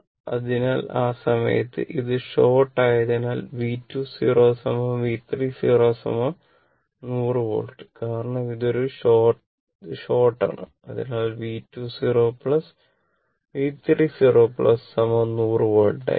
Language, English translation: Malayalam, So, at that time, if it is a short then V 2 your what you call the V 2 0 and V 3 0 will be is equal 100 volt